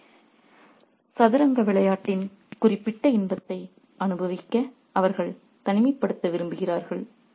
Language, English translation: Tamil, So, they just want some isolation to enjoy that particular pleasure of the game of chess